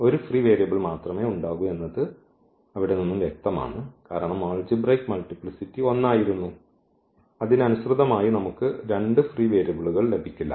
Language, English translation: Malayalam, So, there will be only one free variable which was clear from there also because the algebraic multiplicity was one and corresponding to that we cannot get two free variables